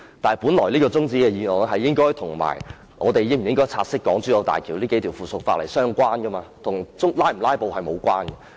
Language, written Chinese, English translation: Cantonese, 但是，本來這項中止待續議案，應該跟我們是否察悉港珠澳大橋這數項附屬法例相關，跟是否"拉布"無關。, But the adjournment motion should be related to our taking note or otherwise of the several items of subsidiary legislation in relation to the Hong Kong - Zhuhai - Macao Bridge . They have nothing to do with filibustering